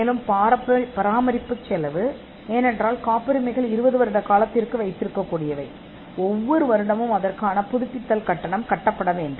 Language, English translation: Tamil, And also, the cost of maintenance, because patterns need to be kept for a 20 year period, renewal fee which falls every year needs to be paid too